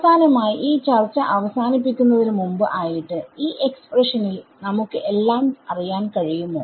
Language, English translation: Malayalam, In this so, finally, before we end this discussion, in this expression do we know everything